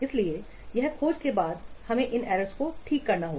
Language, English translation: Hindi, So, after this detection we must correct these errors